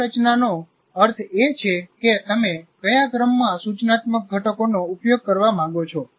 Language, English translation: Gujarati, Strategy means in what sequence you want to do, which instructional components you want to use